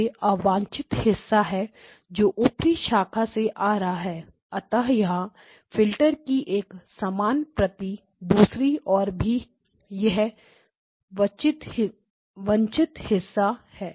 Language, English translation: Hindi, This is the unwanted portion that is coming through the upper branch and of course there is a similar copy of the filter on the other side this is also the unwanted portion